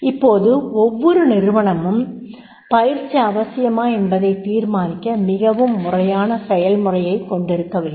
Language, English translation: Tamil, Now, every organization should have a very systematic process to determine whether training is necessary